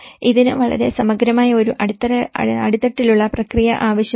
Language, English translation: Malayalam, This requires a very thorough bottom up process of it